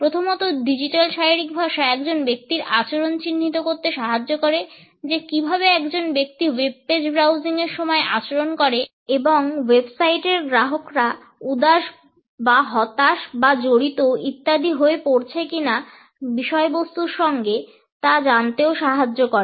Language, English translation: Bengali, The digital body language initially is started to track a person’s behaviour, how does a person behave while browsing the pages and it helped us to know whether the website users are bored with the content or they are frustrated or they are engaged etcetera